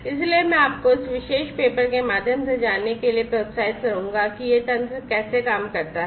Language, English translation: Hindi, So, I would encourage you to go through this particular paper to learn more details about how this these mechanisms work